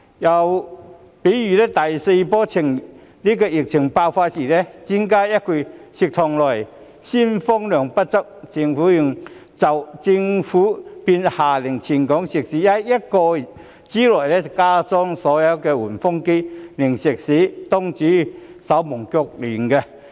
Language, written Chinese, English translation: Cantonese, 又例如第四波疫情爆發的時候，專家說一句食肆內鮮風量不足，政府便下令全港食肆在1個多月之內加裝所有換風機，令食肆東主手忙腳亂。, Another example is that when the fourth wave of the epidemic broke out an experts comment of insufficient supply of fresh air in restaurants had caught all restaurants in Hong Kong in a bustle after the Government ordered them to install ventilators within a month or so